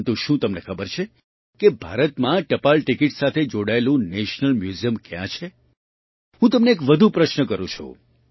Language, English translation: Gujarati, But, do you know where the National Museum related to postage stamps is in India